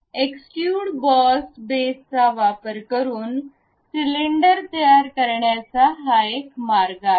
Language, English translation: Marathi, This is one way of constructing cylinders by using extrude boss base